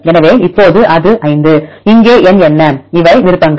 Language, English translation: Tamil, So, now, it is 5; what is the number here, these are the options